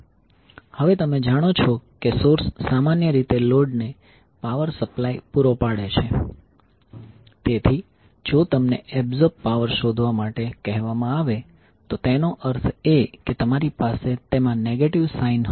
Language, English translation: Gujarati, Now since you know that source generally supply power to the load so if you are asked to find out the power absorbed that means that you will have negative sign in that